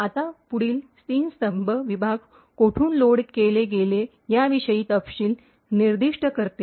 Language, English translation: Marathi, Now these three columns specify details about from where the segment was actually loaded from